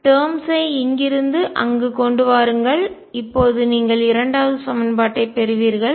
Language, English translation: Tamil, Bring the terms from here to there and you get the second equation